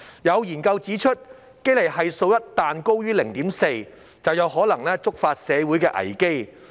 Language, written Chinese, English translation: Cantonese, 有研究指出，堅尼系數一旦高於 0.4， 便有可能觸發社會危機。, Some studies have pointed out that once the Gini coefficient exceeds 0.4 a social crisis may be triggered